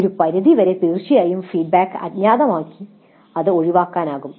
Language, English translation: Malayalam, To some extent of course this can be eliminated by making the feedback anonymous, we will see